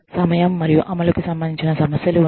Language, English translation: Telugu, There are issues, related to time and level of implementation